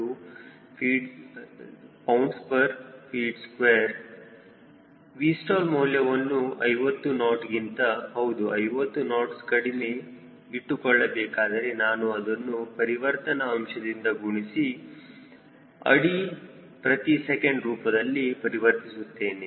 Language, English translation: Kannada, if i want to maintain v stall less than fifty knots, ok, right, fifty knots, i am converting into feet per second, multiplying by multiplication factor